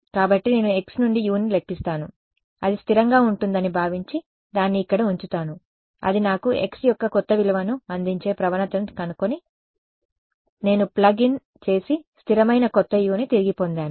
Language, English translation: Telugu, So, I assume U to be I calculate U from x assume it to be constant and put it in over here find out the gradient which gives me a new value of x that x, I plug in and get a new U put it back in keep it constant